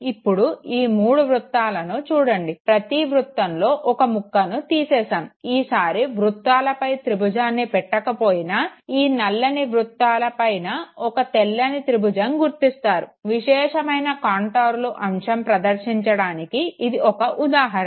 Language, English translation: Telugu, Now see these three circles, they all have a piece cut out of them, although this time a triangle has not been superimposed you will still perceive a white triangle put over three black circles, this was an example to demonstrate the concept of subjective contours